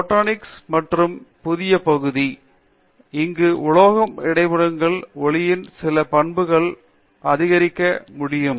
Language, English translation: Tamil, Plasmonics is another new area, where metal interfaces can enhance certain properties of light and so that is another area